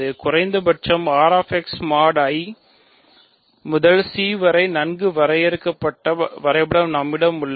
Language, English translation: Tamil, So, we have a well defined map at least from R x mod I to C